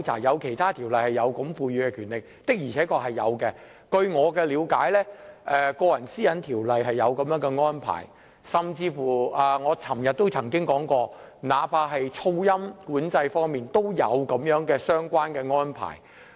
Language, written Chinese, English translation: Cantonese, 有其他條例賦予這樣的權力，這確是事實，據我了解，《個人資料條例》有這安排，甚至我昨天也曾提及，那怕是噪音管制方面，也有相關的安排。, It is true that other ordinances grant the officers such power . As far as I know the Personal Data Privacy Ordinance has such an arrangement . I even mentioned yesterday that this arrangement even applies to noise control